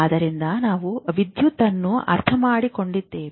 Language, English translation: Kannada, So, what do you know about electricity